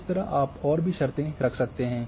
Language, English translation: Hindi, Likewise, you can put conditions